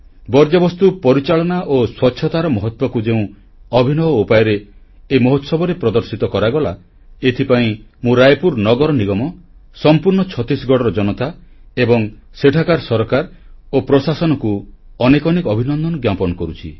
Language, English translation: Odia, For the innovative manner in which importance of waste management and cleanliness were displayed in this festival, I congratulate the people of Raipur Municipal Corporation, the entire populace of Chhattisgarh, its government and administration